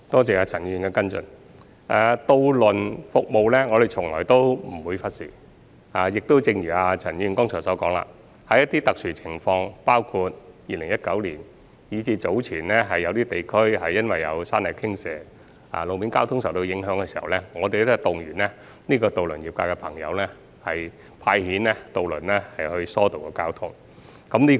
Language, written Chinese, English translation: Cantonese, 就渡輪服務而言，我們從來不會忽視，亦正如陳議員剛才所說，遇上特殊情況，包括在2019年及早前有地區因山泥傾瀉而路面交通受影響時，我們會動員渡輪業界的朋友派遣渡輪疏導交通。, We are never neglectful of ferry services . In exceptional circumstances as mentioned by Mr CHAN just now that cause road traffic obstruction including the events in 2019 and also landslides in certain districts previously we will mobilize the ferry service industry and seek its deployment of ferries for diverting people from other modes of transport